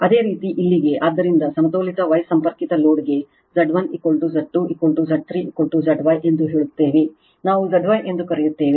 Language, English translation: Kannada, Similarly for here, so that means that for a balanced star connected load say Z 1 is equal to Z 2 is equal to Z 3 is equal to Z Y that is Z star right, we call Z Y